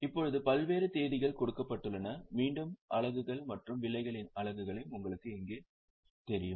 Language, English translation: Tamil, Now, the various dates are given and again the units of units and prices are known to you